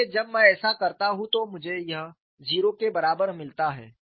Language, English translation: Hindi, So, when I do that, I get this equal to 0